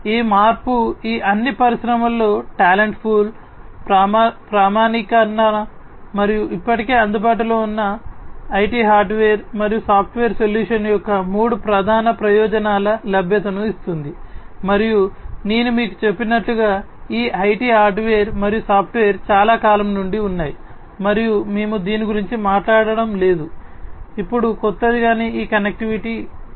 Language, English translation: Telugu, So, this modification gives three main benefits availability of talent pool, standardization, and accessibility of already available IT hardware and software solution in all these industries, and as I told you these IT hardware and software has been there since long and we are not talking about anything new now, but this connectivity is new